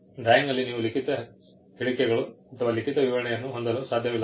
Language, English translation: Kannada, You cannot have written statements or written descriptions in the drawing